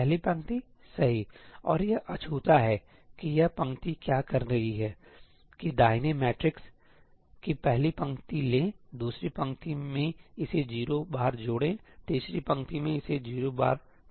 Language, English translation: Hindi, First row, right, and it is untouched that is what this row is saying, that take the first row of the right matrix , add to it 0 times the second row, add to it 0 times the third row